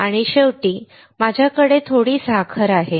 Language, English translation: Marathi, And finally, we have some sugar